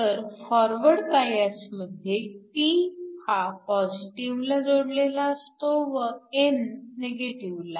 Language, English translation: Marathi, So, in the case of a forward bias, p is connected to positive and n is connected to negative